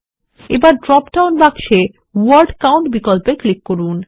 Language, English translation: Bengali, Now click on the Word Count option in the dropdown box